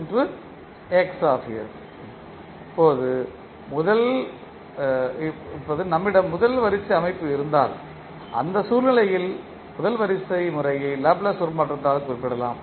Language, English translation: Tamil, Now, if we have a first order system then in that case the first order system can be represented by the Laplace transform